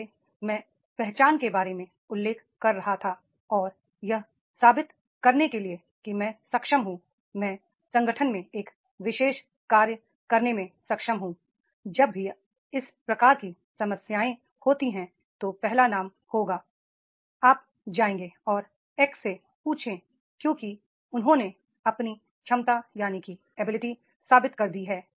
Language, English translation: Hindi, He wants to prove himself like I was mentioning about the identity and to prove I am able, I am able to do this particular job in the organization and in the organization whenever the type of the problems are there, the oh, first name will be, oh, you go and ask X because he has proved his ability to be oneself